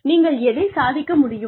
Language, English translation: Tamil, What you are able to achieve